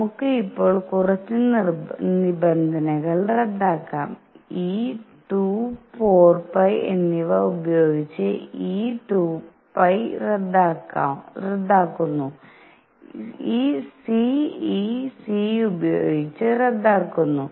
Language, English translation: Malayalam, Let us now cancel a few terms; this 2 pi cancels with this 2 and 4 pi; c cancels with this c